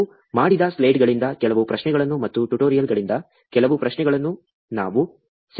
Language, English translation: Kannada, We have just captured some questions from the slides that we did, and some from the tutorials